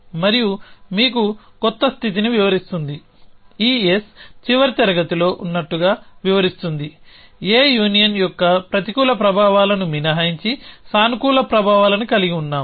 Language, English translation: Telugu, And gives you a new state explain were explain as is on the last class this S minus the negative effects of A union the positive effects of A